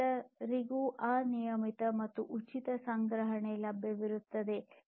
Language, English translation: Kannada, There would be unlimited and free storage available to everyone